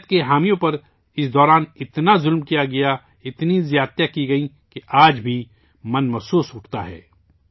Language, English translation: Urdu, The supporters of democracy were tortured so much during that time, that even today, it makes the mind tremble